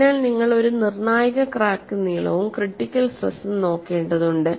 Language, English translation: Malayalam, So, you have to look for a critical crack length and a critical associated stress